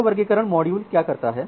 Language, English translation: Hindi, So, what this classification module does